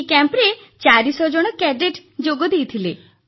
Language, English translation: Odia, 400 cadets attended the Camp